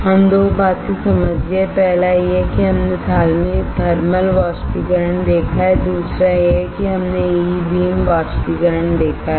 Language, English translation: Hindi, We understood 2 things; first is we have seen thermal evaporator and second is we have seen E beam evaporator